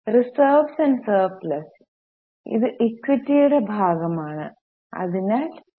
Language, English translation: Malayalam, Reserves and surplus, this is a part of equity, so, E